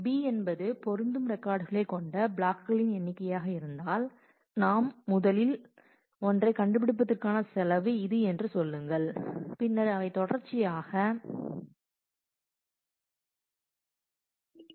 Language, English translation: Tamil, So, if b is the number of blocks containing matching records then we will need to have say this is a cost to find out the first one and then they from consecutively they are on